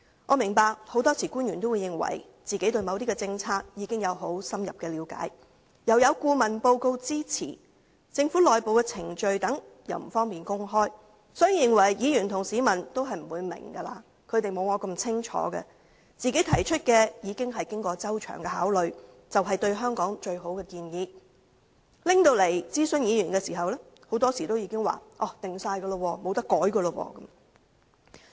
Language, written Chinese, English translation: Cantonese, 我明白，很多時候，官員認為自己對某些政策已經有很深入的了解，又有顧問報告的支持，加上政府內部程序等不便公開，所以認為議員和市民不會明白，沒有他們自己那麼清楚，認為自己提出的意見已經過周詳考慮，是對香港最好的建議，於是提交立法會諮詢議員時，便說已成定局，無法更改。, I understand that very often the officials considered that they already had a deep understanding of a certain policy which was supported by a consultancy report and it was inappropriate to disclose the internal government procedures and so on . For this reason they thought Members and the public would not understand the matter and did not know it as well as they did . They held that the advice given by them had already undergone thorough consideration